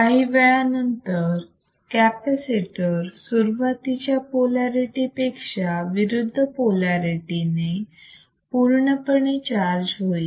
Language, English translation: Marathi, So, at the capacitor gets fully charged with the opposite polarities right